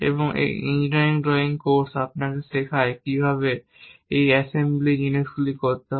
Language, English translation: Bengali, And our engineering drawing course teach you how to do this assembly things and also how to represent basic drawings